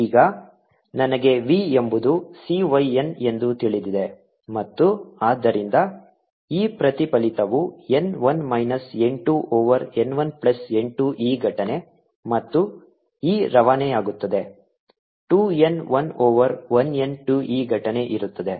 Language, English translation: Kannada, now i know v is c, y, n and therefore e reflected is going to be n, one minus n, two over one plus n, two, e incident